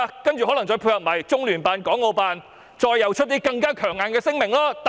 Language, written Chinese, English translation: Cantonese, 然後，可能再配合中聯辦及港澳辦發出一些更強硬的聲明。, By then LOCPG and HKMAO may issue some strong - worded statements in concert with the Government